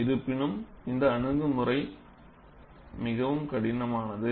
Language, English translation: Tamil, However, the approach has been quite crude